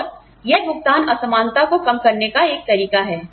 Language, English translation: Hindi, And, that is one way of reducing, this pay disparity